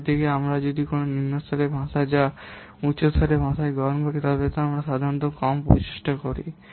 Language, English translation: Bengali, Whereas if you will take a what C level language which is a high level language, then we normally put less effort